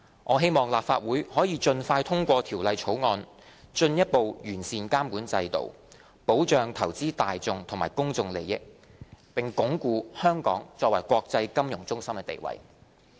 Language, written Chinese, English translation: Cantonese, 我希望立法會可以盡快通過《條例草案》，進一步完善監管制度，保障投資大眾和公眾利益，並鞏固香港作為國際金融中心的地位。, I hope that the Legislative Council will expeditiously pass the Bill so as to further enhance the regulatory regime protect investors and public interests and strengthen the status of Hong Kong as an international financial centre